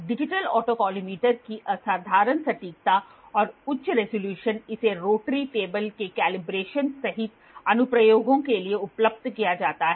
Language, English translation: Hindi, The exceptional accuracy and high resolution of the digital autocollimator makes it suitable for, for applications including calibration of rotary table rotary table